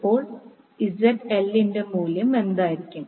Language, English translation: Malayalam, So, what will be the value of ZL